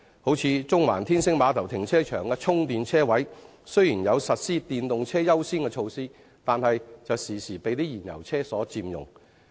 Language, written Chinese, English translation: Cantonese, 例如中環天星碼頭停車場的充電車位雖然實施電動車優先的措施，卻經常被燃油汽車佔用。, For instance there is a measure of giving priority to EVs in using the parking spaces with charging facilities at the Star Ferry Car Park in Central but these spaces are very often occupied by fuel - engined vehicles